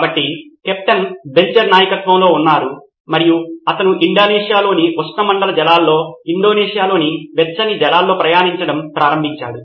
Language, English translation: Telugu, So, Captain Belcher was in command and he started sailing in the warmer waters of Indonesia, tropical waters of Indonesia